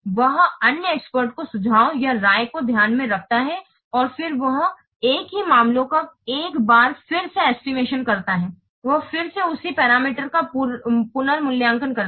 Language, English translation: Hindi, He takes into account the suggestions or the opinions of the other experts and then he assesses the same matters once again